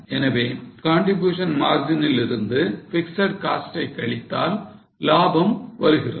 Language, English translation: Tamil, So, profit is going to be contribution margin minus fixed cost